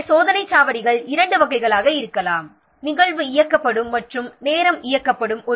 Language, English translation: Tamil, So the checkpoints can be of two types, event driven and time driven